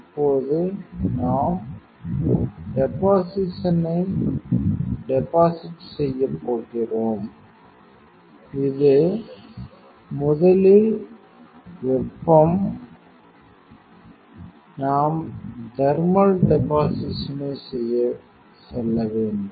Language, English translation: Tamil, So, now, we are going to deposit the deposition means this is thermal first we have to go to do the thermal deposition